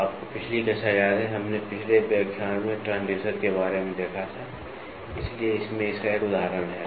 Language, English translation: Hindi, So, you remember last class, we last lecture we saw about the transducers, so in this is one of the examples for it